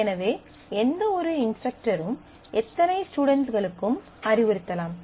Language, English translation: Tamil, So, any instructor can advise any number of students